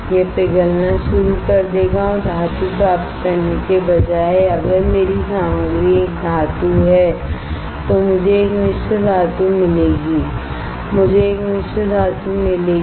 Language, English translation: Hindi, It will start melting and instead of getting a metal if my material is a metal I will get a alloy I get a alloy